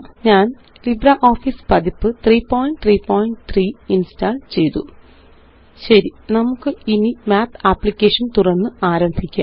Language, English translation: Malayalam, I have installed LibreOffice Version 3.3.3 Okay, let us get started and open the Math application